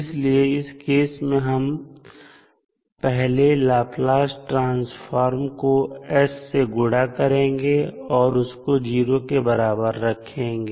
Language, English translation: Hindi, So, in this case we will first multiply the Laplace transform with s and equate it for s is equal to 0